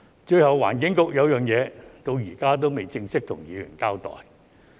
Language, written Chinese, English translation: Cantonese, 最後，環境局有一件事到現在仍未正式向議員交代。, Lastly there is one thing that the Environment Bureau has yet to give Members a formal explanation